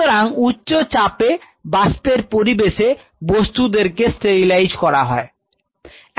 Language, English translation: Bengali, So, in a high pressure and in a vaporized environment you sterilize the stuff